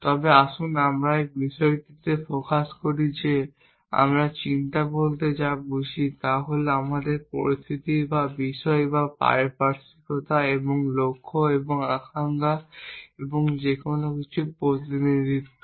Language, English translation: Bengali, But let us focus on the fact that what we mean by thinking is representation of our situation or the world or the surroundings and the goals and the desires and anything